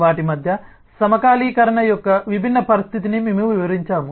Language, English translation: Telugu, we have explained the different situation of synchronization between them